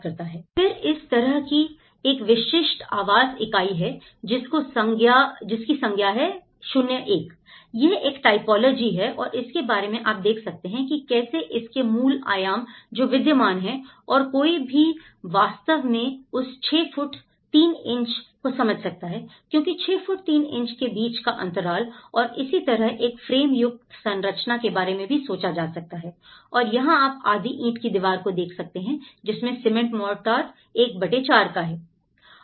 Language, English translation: Hindi, Then, a typical dwelling unit like this is a zero one, this is one typology and you can even think about you know, the how the basic dimensions, which are existing and how one can actually understand that 6 foot 3 inches because the span between 6 foot 3 inches and that is how a framed structure could be also thought of and here, you can see the half brick wall in cement mortar is 1:4